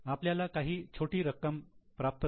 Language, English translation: Marathi, We have received some small amount of cash